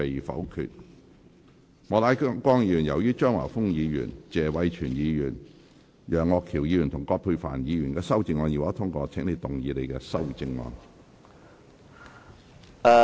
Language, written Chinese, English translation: Cantonese, 莫乃光議員，由於張華峰議員、謝偉銓議員、楊岳橋議員及葛珮帆議員的修正案已獲得通過，請動議你的修正案。, Mr Charles Peter MOK as the amendments of Mr Christopher CHEUNG Mr Tony TSE Mr Alvin YEUNG and Dr Elizabeth QUAT have been passed you may move your revised amendment